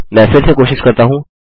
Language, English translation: Hindi, Let me try again